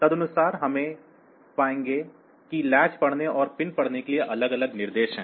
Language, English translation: Hindi, So, accordingly we will find that there are separate instructions for reading latch and reading pin